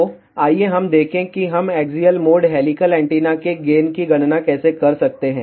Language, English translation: Hindi, So, let us see, how we can calculate the gain of the axial mode helical antenna